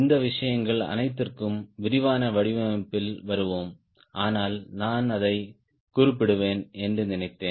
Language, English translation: Tamil, we will come to all these things in detail design, but i thought i will mention it